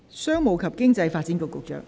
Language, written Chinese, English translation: Cantonese, 商務及經濟發展局局長，請發言。, Secretary for Commerce and Economic Development please speak